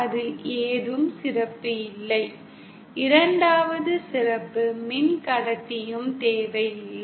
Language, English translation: Tamil, There is no special, there is no need of a special 2nd conductor